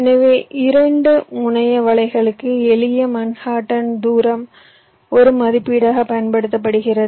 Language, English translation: Tamil, so one thing: for two terminal nets, simple manhattan distance is use as a estimate